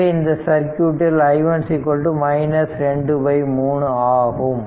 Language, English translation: Tamil, So, this i is equal to 4 minus 3